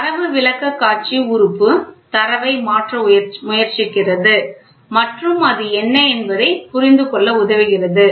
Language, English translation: Tamil, So, the Data Presentation Element tries to convert the data in and helps us to understand what is it